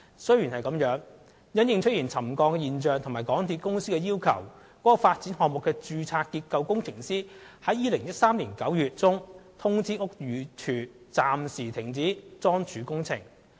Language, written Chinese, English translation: Cantonese, 雖然如此，因應沉降現象及港鐵公司的要求，該發展項目的註冊結構工程師於2013年9月中通知屋宇署，該地盤暫時停止樁柱工程。, Nonetheless in the light of the subsidence and the request by MTRCL the registered structural engineer of the development project informed BD in September 2013 that the piling works at the construction site would be suspended